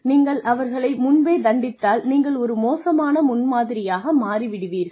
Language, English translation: Tamil, If you punish them up front, then you could be setting a bad example